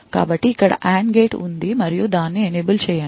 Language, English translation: Telugu, So, it has an AND gate over here and an Enable